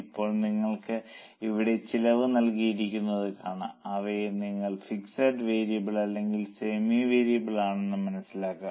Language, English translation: Malayalam, Now you can see here costs are given and you have to identify them as fixed variable or semi variable